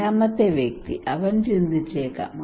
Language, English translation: Malayalam, The fourth person, he may think